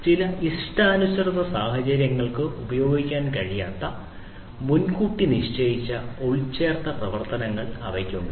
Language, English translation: Malayalam, They have predefined embedded functions that cannot be used for certain you know customized scenarios